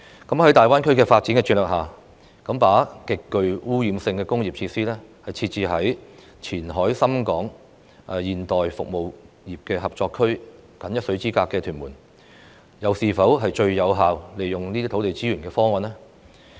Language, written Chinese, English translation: Cantonese, 在大灣區的發展策略下，把極具污染性的工業設施設置在與"前海深港現代服務業合作區"僅一水之隔的屯門，是否最有效利用土地資源的方案呢？, Under the development strategy of GBA is it the most effective option of utilizing land resources by having highly polluting industrial facilities in Tuen Mun that is just a short hop from the Qianhai Shenzhen - Hong Kong Modern Service Industry Cooperation Zone?